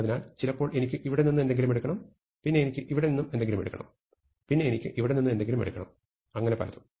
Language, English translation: Malayalam, So, sometimes I need think something from here, then I need take something from here, then I need take something from here and so on